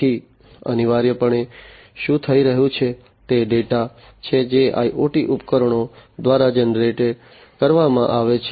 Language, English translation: Gujarati, So, essentially what is happening is the data that is generated by the IoT devices